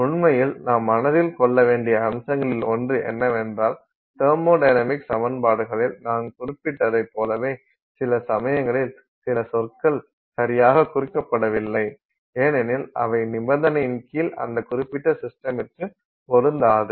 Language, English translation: Tamil, In fact, one of the other aspects that we have to keep in mind is that you know just like I mentioned in that in thermodynamic equations sometimes some terms are not indicated because they are not relevant for that particular system under that condition